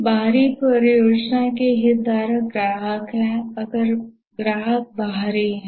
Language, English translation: Hindi, The external project stakeholders are the customers if the customers are external